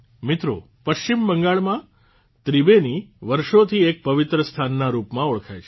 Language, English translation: Gujarati, Friends, Tribeni in West Bengal has been known as a holy place for centuries